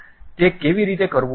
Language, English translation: Gujarati, How to do that